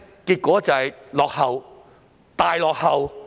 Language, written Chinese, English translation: Cantonese, 結果是落後，大落後。, The result is that we are lagging far far behind